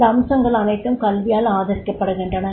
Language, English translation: Tamil, All these aspects they are supported by the education is there